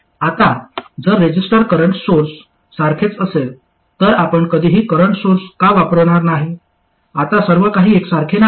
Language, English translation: Marathi, Now if a resistor is as good as a current source, then why would you ever want to use a current source